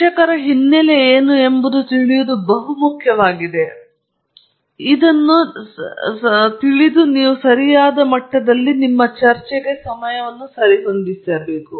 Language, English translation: Kannada, So, it’s very important to understand what their background is, so that you can pitch the talk at the right level okay